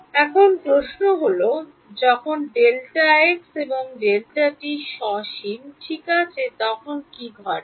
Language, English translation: Bengali, Now the question is what happens when delta x and delta t are finite ok